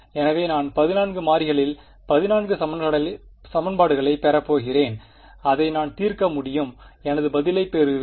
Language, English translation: Tamil, So, I am going to get 14 equations in 14 variables I can solve it I will get my answer